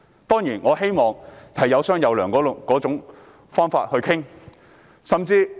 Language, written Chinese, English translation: Cantonese, 當然，我希望大家以有商有量的方式進行討論。, Certainly I hope Members can leave room for dialogue in their discussions